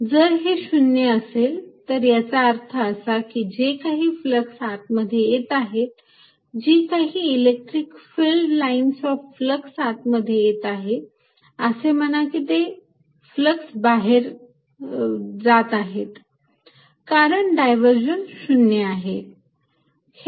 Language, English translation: Marathi, if this is zero, that means whatever fluxes coming in, whatever electric filed lines a flux is coming in, say, flux is going out because this divergence is zero